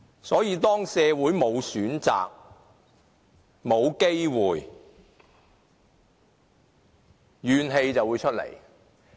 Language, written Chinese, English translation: Cantonese, 所以，當社會沒有選擇，沒有機會，便會生出怨氣。, Hence when the community is devoid of choices and opportunities there will be grievances